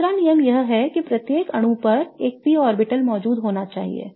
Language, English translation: Hindi, The second rule is there should be a P orbital present on each atom